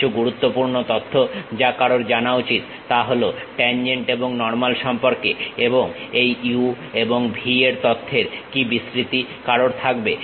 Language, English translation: Bengali, Some of the essential information what one should really know is about tangent and normals, and what is the range these u and v information one will be having